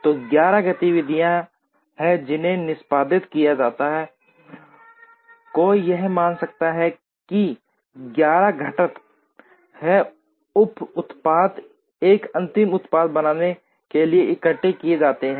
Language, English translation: Hindi, So there are 11 activities that have to be performed, one could assume that 11 components are subassemblies are assembled to form a final product